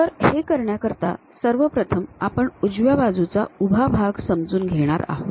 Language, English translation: Marathi, So, to do that, we are going to first of all learn this right hand vertical face